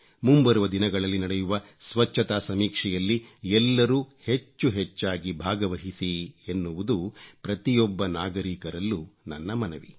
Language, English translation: Kannada, And I appeal to every citizen to actively participate in the Cleanliness Survey to be undertaken in the coming days